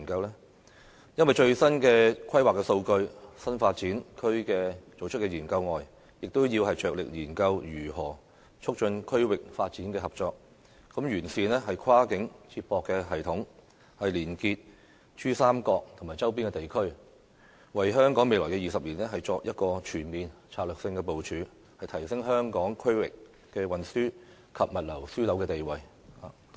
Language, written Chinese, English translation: Cantonese, 因為根據最新的規劃數據，除了要就新發展區進行研究外，亦要着力研究如何促進區域發展和合作，透過完善跨境接駁系統，連結珠三角及周邊地區，為香港未來20年作全面的策略性部署，從而提升香港作為區域運輸及物流樞紐的地位。, It is because according to the latest planning data apart from studying the new development areas the Government also needs to vigorously study how to boost regional development and cooperation and connect with PRD and its neighbouring areas through a comprehensive cross - boundary linkage system with a view to formulating a comprehensive strategic planning for Hong Kong in the coming 20 years and thereby enhancing Hong Kongs position as a regional transport and logistics hub